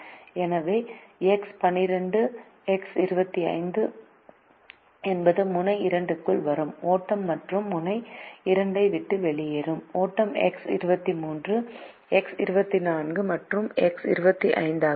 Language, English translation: Tamil, so x one, two is the flow coming into node two, and the flow that leaves node two are x two, three, x two, four and x two, five